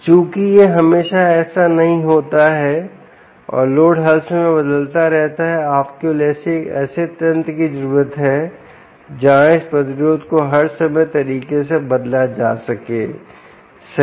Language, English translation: Hindi, since this is not always the case and the load continues to be changing all the time, you only need a mechanism where this resistance can also be altered at all times, right